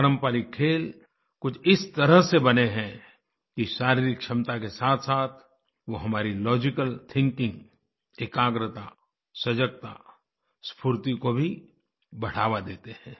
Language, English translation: Hindi, Traditional sports and games are structured in such a manner that along with physical ability, they enhance our logical thinking, concentration, alertness and energy levels